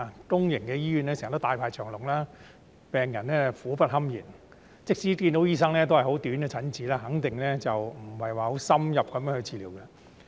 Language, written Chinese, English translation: Cantonese, 公營醫院經常大排長龍，病人苦不堪言，即使看到醫生，也只有很短的診治時間，肯定無法接受深入的治療。, There are always long queues at public hospitals leaving patients miserable . Even if they can see a doctor they only have a very short consultation and so there is no way they can receive in - depth treatment